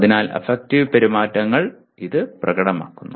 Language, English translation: Malayalam, So affective behaviors are demonstrated by this